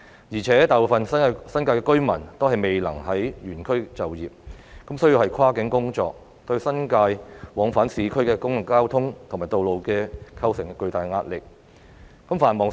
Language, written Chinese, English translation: Cantonese, 而且，大部分新界居民均未能原區就業，需要跨區工作，對新界往返市區的公共交通及道路構成巨大壓力。, Moreover the majority of residents in the New Territories are not able to work in the same district and have to work in other districts which has a huge impact on public transport and roads linking the New Territories and urban areas